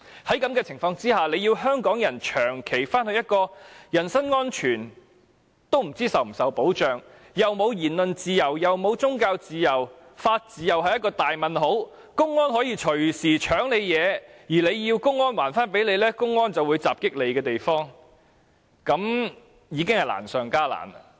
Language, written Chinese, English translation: Cantonese, 在這種情況下，要香港人長期處於一個連人身安全亦不知道是否受到保障、沒有言論自由、沒有宗教自由、法治同樣是一個大問號的地方，並且隨時可能被公安搶奪東西，如果要求歸還便會受到襲擊，是有困難的。, Under this circumstance it will be difficult to convince Hong Kong people to stay permanently in a place with no certain guarantee of their personal safety speech freedom and religious freedom but a questionable legal system where they can be robbed of their belongings anytime by public security officers and even assaulted when demanding their return